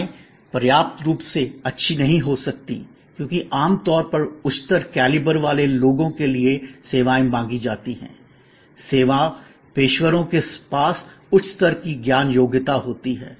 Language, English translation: Hindi, Services may not be good enough, because services usually ask for people of higher caliber, service professionals have higher level of knowledge competency